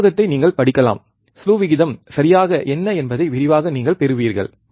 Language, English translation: Tamil, You can refer to this book, and you will get in detail what exactly the slew rate means